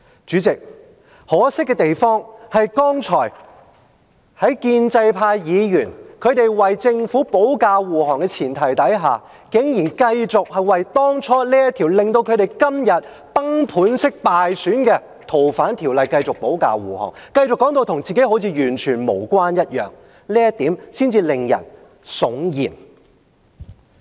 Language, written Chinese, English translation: Cantonese, 主席，可惜的是，剛才建制派議員為政府保駕護航的前提下，竟然繼續為這條令他們今天崩盤式敗選的《逃犯條例》的修訂保駕護航，繼續說成好像跟他們沒有關係般，這一點才令人悚然。, President unfortunately the most terrifying part of the story is that in order to defend the Government in whatever circumstances pro - establishment Members have continued to defend the amendment to the Fugitive Offenders Ordinance which has caused the landslide defeat in the election and keep on saying that they have nothing to do with that